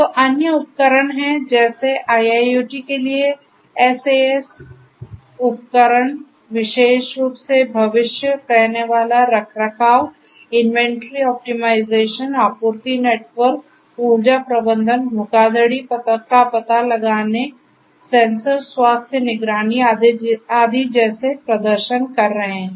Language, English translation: Hindi, So, the other things are the different other tools like the SaaS tools for IIoT specifically performing things such as predictive maintenance, inventory optimisation, supply network, energy management, fraud detection, sensor health monitoring and so on